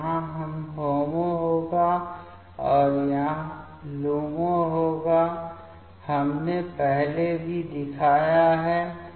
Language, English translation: Hindi, So, here this will be HOMO, and this will be LUMO, we have shown previously also